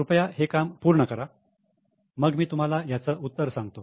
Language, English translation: Marathi, So, please complete the exercise and then I will show you the solution